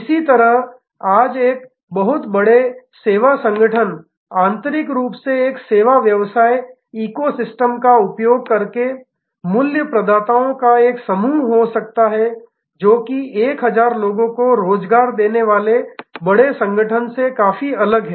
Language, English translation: Hindi, Similarly, today a very large service organization can be internally a constellation of value providers using a service business eco system, which is quite different from the yesteryears very large organization employing 1000 of people